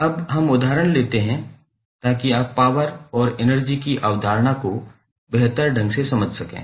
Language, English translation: Hindi, Now, let us take examples so that you can better understand the concept of power and energy